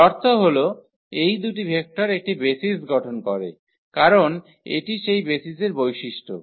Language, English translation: Bengali, So; that means, these two vectors form a basis because, that is a property of the basis